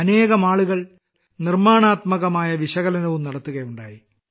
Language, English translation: Malayalam, Many people have also offered Constructive Analysis